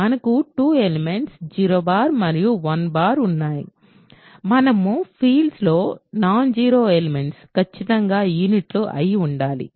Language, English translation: Telugu, So, we have 2 elements 0 bar and 1 bar and in order to be a field non zero elements must be units